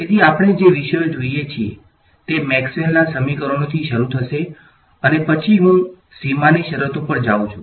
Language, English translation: Gujarati, So, the topics that we look at will be starting with Maxwell’s equations and then I go to boundary conditions